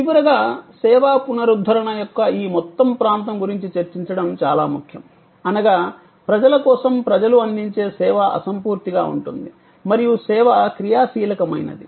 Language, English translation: Telugu, And lastly, it is very important to discuss about this whole area of service recovery, whether that means, a services provided by people, for people and service is intangible and service is dynamic